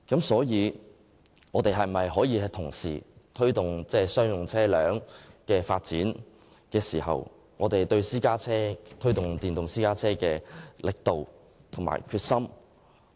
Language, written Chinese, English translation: Cantonese, 所以，在推動商用車輛的發展時，我們可否加大力度及決心，推動電動私家車的發展呢？, Therefore can we foster the development of electric private cars with greater efforts and determination while promoting the development of commercial vehicles?